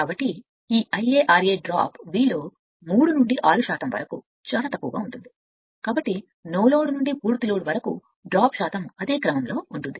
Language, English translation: Telugu, So, this I a r a drop is very small about 3 to 6 percent of V therefore, the percentage drop is speed from no load to full load is of the same order right